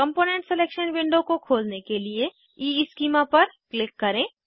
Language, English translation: Hindi, Click on EESchema window to open the component selection window